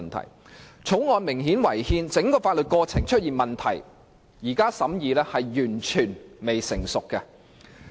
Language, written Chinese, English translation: Cantonese, 《條例草案》不單明顯違憲，而且整個法律過程都出現問題，所以現在進行審議是完全未成熟的。, Not only is the Bill blatantly unconstitutional the entire legislative process is also riddled with problems it is therefore absolutely premature to proceed with the deliberation